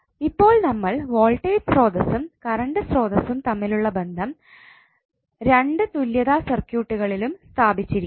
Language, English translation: Malayalam, So now, we have stabilized the relationship between voltage source and current source in both of the equivalent circuit